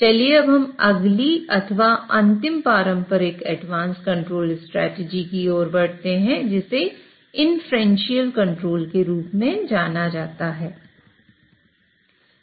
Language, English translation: Hindi, Let us now move to the next or the final traditional advanced control strategy which is known as inferential control